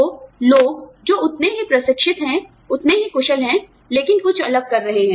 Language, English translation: Hindi, So, people, who are as trained, as skilled as us, but are doing, something different